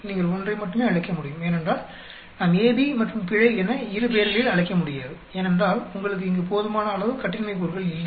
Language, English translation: Tamil, Only one you can call it, because we cannot call both AB, as well as error because, you do not have sufficient degrees of freedom here